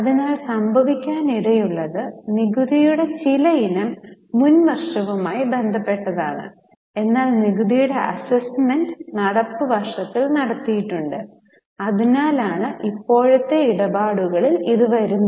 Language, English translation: Malayalam, So, what could have happened is some item of tax is related to earlier year but the assessment of tax has been made in the current year